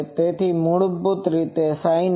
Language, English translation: Gujarati, So, basically it is a sin Y